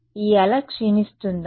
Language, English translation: Telugu, Does this wave decay